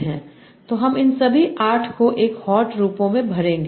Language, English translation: Hindi, So you will feed all these 8 1 hot forms